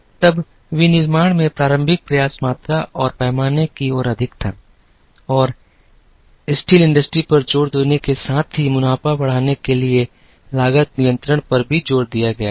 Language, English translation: Hindi, Then, early effort atmanufacturing was more towards volume and scale and with emphasis on the steel industry and there was also emphasis on cost control to increase the profits